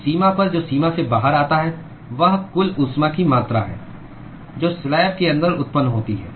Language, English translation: Hindi, So, at the boundary, what comes out of the boundary is the total amount of heat that is generated inside the slab